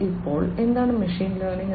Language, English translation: Malayalam, So, what is machine learning